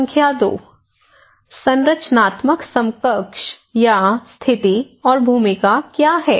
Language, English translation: Hindi, Number 2; structural equivalents or position and role what is that